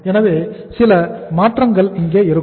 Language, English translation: Tamil, So some changes are here